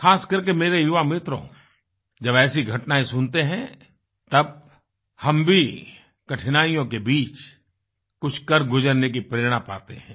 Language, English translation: Hindi, Especially my young friends, when we hear about such feats, we derive inspiration to touch heights despite obstacles